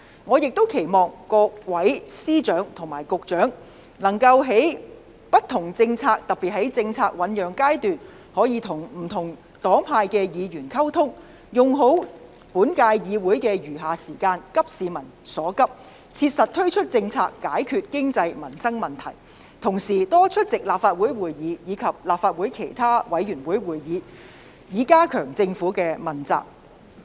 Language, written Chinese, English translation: Cantonese, 我亦期望各司長和局長能在制訂不同政策時，特別是在政策醞釀階段跟不同黨派的議員溝通，善用本屆議會的餘下任期，急市民所急，切實推行政策以解決經濟民生問題，並多出席立法會會議及立法會其他委員會會議，以加強政府的問責。, It is also my hope that Secretaries of Departments and Directors of Bureaux can strive to enhance the Governments accountability by communicating with Members from different political parties and groups when formulating various policies making good use of the remaining time of the current term of the Legislative Council to address the pressing needs of the public implementing relevant policies to tackle economic and livelihood problems in an earnest manner and attending more Legislative Council meetings and other committee meetings of the Legislative Council